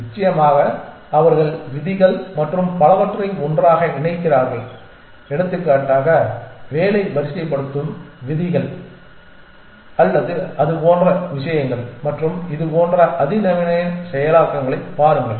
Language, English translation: Tamil, Of course, they put together the rules and so on so forth for example, work ordering rules or things like that and sort of look at more sophisticated implementations of this